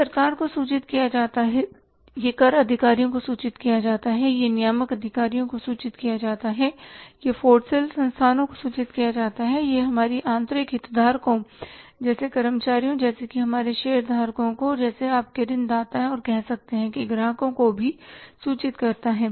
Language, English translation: Hindi, It is reported to the government, it is reported to the tax authorities, it is reported to the regulatory authorities, it is reported to the financial institutions, it is reported to the internal stakeholders like employees like our shareholders like your lenders or maybe the say customers